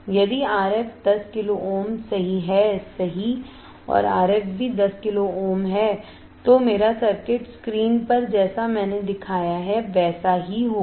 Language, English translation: Hindi, If R I = 10 kilo ohms right and R f is also = 10 kilo ohms, then my circuit will look like the one I have shown on the screen, is not it